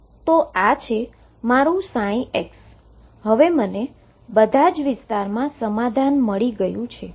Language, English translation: Gujarati, So this is my psi x, now I have found the solution in all regions so let us write it